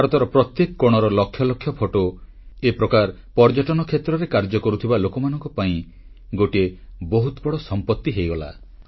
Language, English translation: Odia, Lakhs of photographs from every corner of India were received which actually became a treasure for those working in the tourism sector